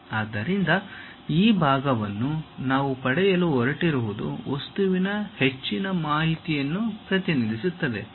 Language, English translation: Kannada, So, this part whatever we are going to get represents more information of the object